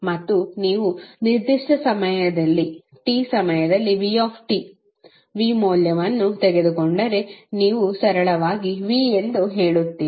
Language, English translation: Kannada, And if you take value minus V t, V at time at particular time t then you will say simply as V